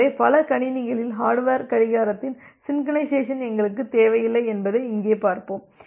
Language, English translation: Tamil, So, here we will see that we do not require the synchronization of the hardware clock across multiple machine